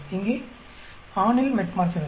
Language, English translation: Tamil, This for Metformin